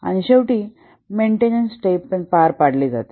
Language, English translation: Marathi, And finally, the maintenance phase is undertaken